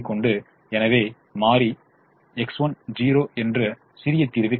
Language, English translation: Tamil, so variable x two comes into the solution